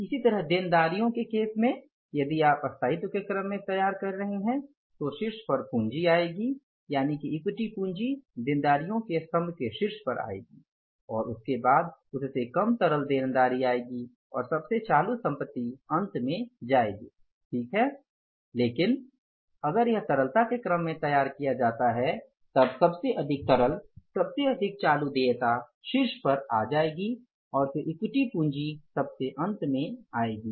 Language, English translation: Hindi, Similarly in case of the liabilities, if you are preparing in the order of permanence then the capital will come on the top, that is the equity capital will come on the top of the liabilities column and followed by the last most liquid liability or maybe the most current liability that will come in the end